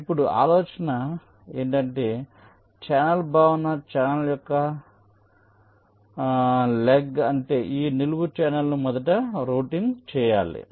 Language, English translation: Telugu, now the idea is that you see, here the concept is that the leg of the channel, that means this vertical channel, has to be routed first